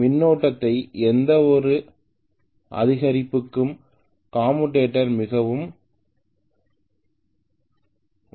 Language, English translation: Tamil, The commutator is extremely sensitive to any increase in the current